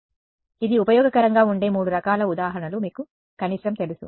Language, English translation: Telugu, So, there are at least you know three different kinds of examples where this is useful